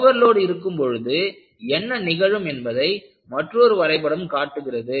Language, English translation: Tamil, And, this graph shows, what happens, when I have over load